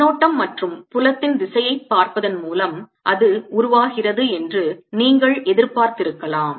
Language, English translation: Tamil, you could have anticipated that by looking at the current and direction of the field that is given rise to